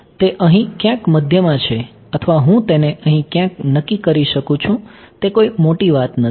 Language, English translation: Gujarati, It can it will at the middle over here or I can also choose it over here that is not the matter ok